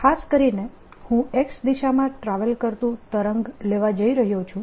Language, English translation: Gujarati, in particular, i am going to take a wave travelling in the x direction